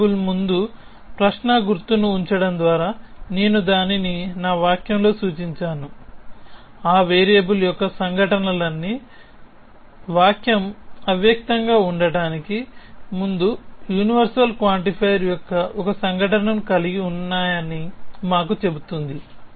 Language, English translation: Telugu, I have indicated it in my sentence by putting a question mark before the variable, which tells we that this variable all these occurrences of this variable has one occurrence of a universal quantifier before the sentence is implicit